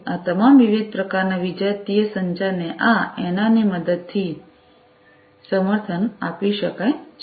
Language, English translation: Gujarati, So, all these different types of heterogeneous communication could be supported with the help of this NR